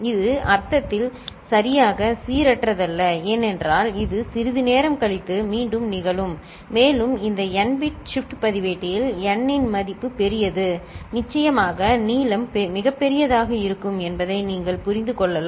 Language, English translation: Tamil, It is not exactly random in the sense because it will repeat after some time and if you have number of these n bit shift register, the value of n is large then of course you can understand that the length will be very large